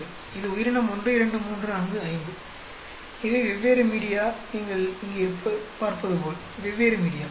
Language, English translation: Tamil, This is the organism 1, 2, 3, 4, 5, and these are the different media, as you can see here, different media